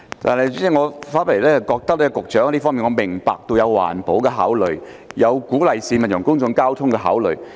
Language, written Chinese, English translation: Cantonese, 就這問題，我明白局長有環保和鼓勵市民使用公共交通工具的考慮。, For this issue I understand that the Secretary has to consider how to protect the environment and encourage the public to use public transport